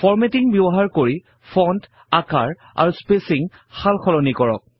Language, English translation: Assamese, Use formatting to change the fonts, sizes and the spacing